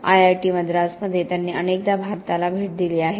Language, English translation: Marathi, He has visited India often as and has been at IIT Madras very much